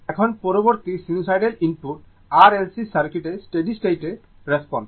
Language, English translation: Bengali, Now, next is the steady state response of R L C circuit to sinusoidal input